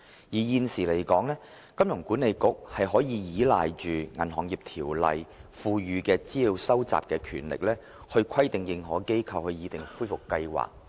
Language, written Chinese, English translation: Cantonese, 現時，香港金融管理局可依賴《銀行業條例》賦予的資料收集權力，以規定認可機構擬訂恢復計劃。, The Hong Kong Monetary Authority HKMA presently can rely on the power of information gathering under the Banking Ordinance to require authorized institutions AIs to prepare recovery plans